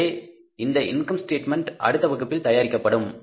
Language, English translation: Tamil, So that income statement we will prepare in the next class